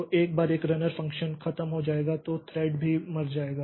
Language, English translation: Hindi, So, once the runner function is over the thread will also die